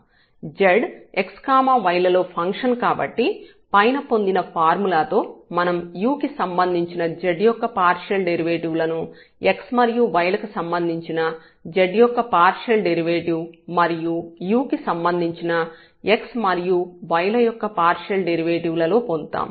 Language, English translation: Telugu, So, with the formula derived above we have a partial derivative of z with respect to u in terms of the partial derivatives of z with respect to x and y and the partial derivative of x with respect to u partial derivative of y with respect to u again